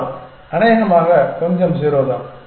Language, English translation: Tamil, Probably little bit is 0